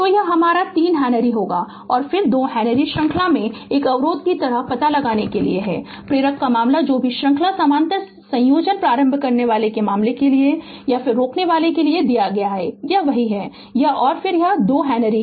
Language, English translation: Hindi, So, it will be your 3 Henry right and then 2 Henry is in series to find out your same like a resistor, inductor case whatever you whatever series parallel combination you have done for resistor for inductor case it is same right and this and then this 2 Henry is there